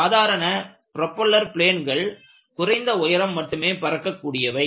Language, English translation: Tamil, Inthe ordinary propeller planes, they fly at lower altitudes